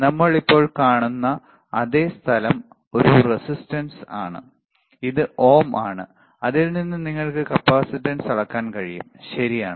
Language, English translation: Malayalam, The same place where we are putting right now which is a resistance which is ohms you can measure capacitance as well, all right